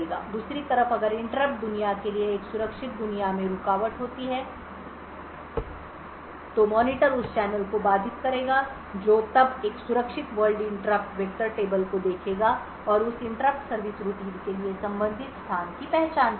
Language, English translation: Hindi, On the other hand if the interrupt happened to be a secure world interrupt the monitor would then channel that secure world interrupt which would then look at a secure world interrupt vector table and identify the corresponding location for that interrupt service routine